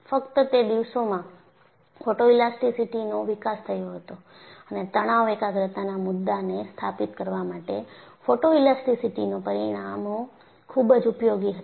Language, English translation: Gujarati, Only in those days, photoelasticity got developed and the results from photoelasticity were very useful to establish the concept of stress concentration